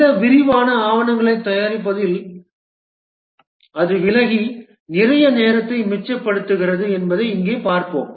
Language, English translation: Tamil, Here we will see that it does away in preparing these elaborate documents and saves lot of time